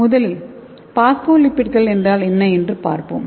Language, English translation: Tamil, So first we will see what is phospholipids